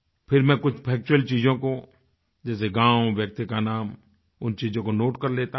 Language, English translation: Hindi, Then, I note down facts like the name of the village and of the person